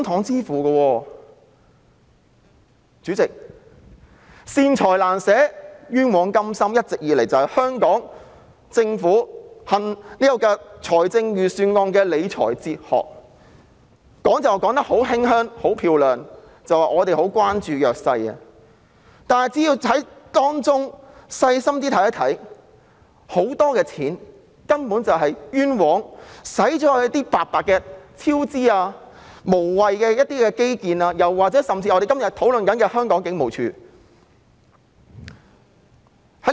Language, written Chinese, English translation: Cantonese, 主席，"善財難捨，冤枉甘心"一直以來都是香港政府制訂預算案時的理財哲學，他們說得很漂亮，表示很關注弱勢社群，但其實只要細心看看，便會發現很多錢都是冤枉地用於超支、無謂的基建，甚至是我們今天討論的警務處身上。, This has all along been the financial management philosophy adopted by the Hong Kong Government when drawing up the Budget . They say a lot of high - sounding words claiming that they care very much about the underprivileged . Actually if we take a closer look we would then discover that a great deal of money has been wasted on cost overruns unnecessary infrastructure and even HKPF which we are discussing today